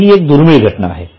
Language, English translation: Marathi, Now, this is a rare case